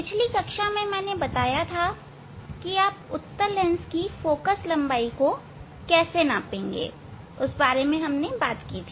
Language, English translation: Hindi, Now we will demonstrate how to measure the Focal Length of a Concave Lens